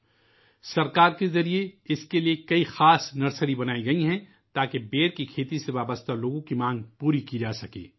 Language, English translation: Urdu, Many special nurseries have been started by the government for this purpose so that the demand of the people associated with the cultivation of Ber can be met